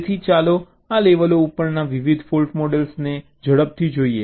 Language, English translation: Gujarati, so let us quickly look at the various fault models at this levels